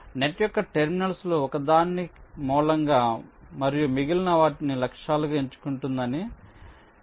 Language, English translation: Telugu, it says you select one of the terminals of the net as a source and the remaining as targets